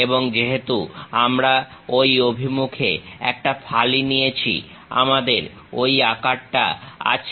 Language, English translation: Bengali, And, because we are taking a slice in that direction, we have that shape